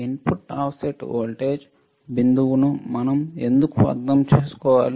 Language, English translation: Telugu, Why we need to understand input offset voltage drip